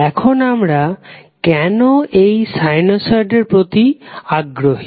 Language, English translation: Bengali, Now, why we are interested in sinusoids